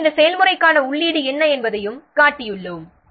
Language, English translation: Tamil, So everything, so we have shown what is the input to this process